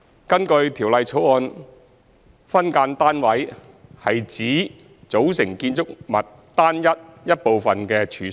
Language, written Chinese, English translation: Cantonese, 根據《條例草案》，"分間單位"指"組成建築物單位一部分的處所"。, According to the Bill an SDU means premises that form part of a unit of a building